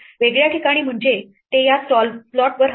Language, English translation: Marathi, In a different place namely it move it to this slot